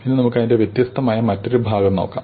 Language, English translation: Malayalam, Now, let us look at a different problem